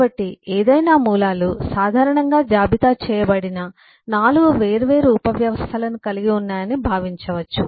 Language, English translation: Telugu, so any roots can be typically thought of to be comprising of four different subsystems, as listed